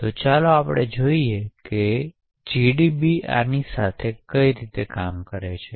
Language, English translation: Gujarati, So, let us see GDB working with this